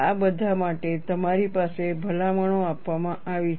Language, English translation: Gujarati, For all these, you have recommendations given